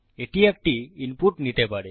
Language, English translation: Bengali, It can take an input